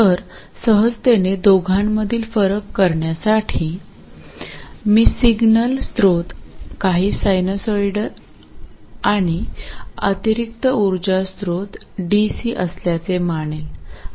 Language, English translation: Marathi, So to distinguish between the two easily I will consider the signal source to be a sinusoid of some frequency and additional power source to be DC